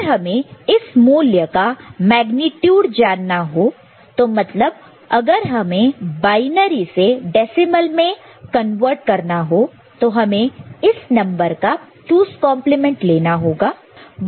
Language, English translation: Hindi, And do you want if you want to know the magnitude of the value, I mean you need to convert from binary to decimal; then we have to take another 2’s complement of it to find the magnitude